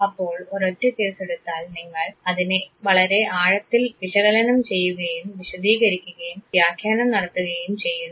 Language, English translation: Malayalam, So, one single case and you analyze it at length, to describe it, interpret it